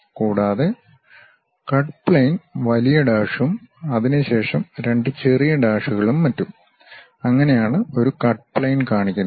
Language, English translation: Malayalam, And, the cut plane long dash followed by two small dashes and so on; that is a cut plane representation